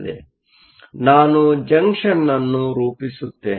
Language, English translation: Kannada, So, let me form the junction